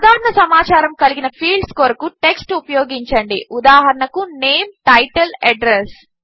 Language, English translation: Telugu, Use text, for fields that have general information, for example, name, title, address